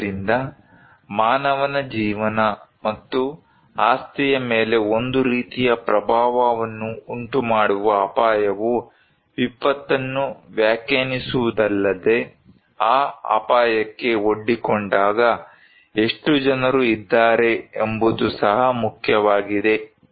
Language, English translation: Kannada, So, hazard that may cause some kind of impact on human life and property does not only define the disaster, it also matter that how many people when they are exposed to that hazard